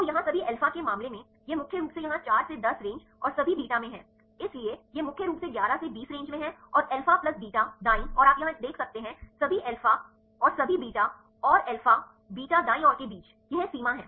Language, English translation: Hindi, So, here in the case of the all alpha, this is mainly here in the 4 to 10 range and the all beta, so, it is mainly in the 11 to 20 range and the alpha plus beta right you can see here right in this between the all alpha and all beta and alpha beta right; this is the range